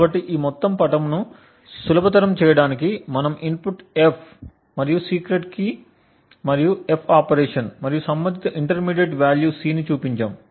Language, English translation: Telugu, So, to simplify this entire figure we just showed the input F and the secret key and the F operation and the corresponding intermediate value C